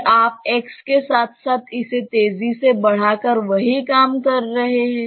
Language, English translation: Hindi, Again, you are doing the same thing accelerating it along x